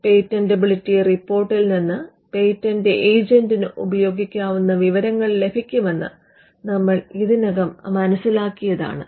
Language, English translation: Malayalam, We have already covered that there are inputs that a patent agent would get from the patentability report which could be used